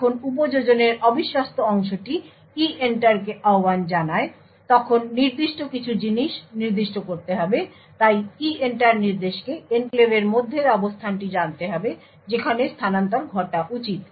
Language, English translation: Bengali, When the untrusted part of the application invokes EENTER there certain things which are to be specified, so the EENTER instruction needs to know the location within the enclave where the transfer should be done